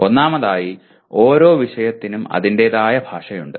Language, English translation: Malayalam, First of all every subject has its own language